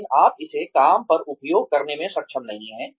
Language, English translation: Hindi, But, you are not able to use it on the job